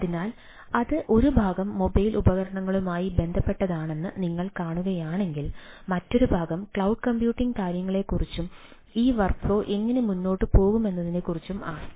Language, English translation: Malayalam, one part is related to the mobile devices, other part is more on the cloud computing things and how this workflow will go on